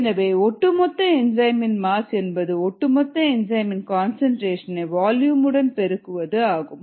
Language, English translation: Tamil, therefore, the mass of the total enzyme, e, t, is the concentration of the total enzyme times the volume